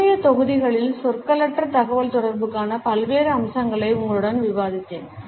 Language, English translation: Tamil, In the preceding modules, I have discussed various aspects of nonverbal communication with you